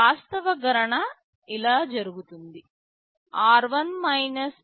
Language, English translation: Telugu, The actual calculation is done like this: r1 r 2 + C 1